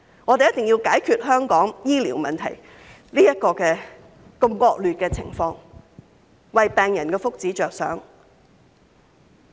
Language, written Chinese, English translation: Cantonese, 我們必須解決香港醫療問題這個惡劣的情況，為病人的福祉着想。, We must address the dire situation facing Hong Kongs healthcare system for the benefit of patients